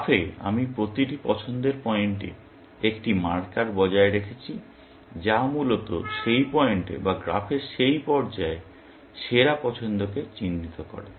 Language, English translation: Bengali, In the graph, I maintained at every choice point, a marker, which marks the best choice at that point, essentially, or at that stage of the graph